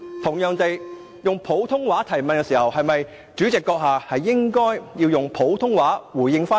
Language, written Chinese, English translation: Cantonese, 又如果他是以普通話提問，主席是否應該以普通話回應？, Or if he puts a question to you in Putonghua should the Chairman respond in Putonghua?